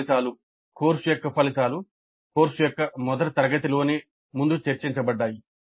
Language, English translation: Telugu, Course outcomes were discussed upfront right in the very first class of the course